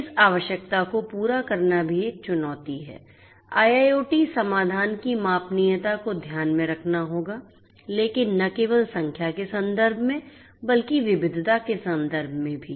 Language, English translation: Hindi, Catering to this going requirements is also a challenge; scalability of IIoT solutions will have to be taken into account both in terms of numbers, but not only in terms of numbers, but also in terms of diversity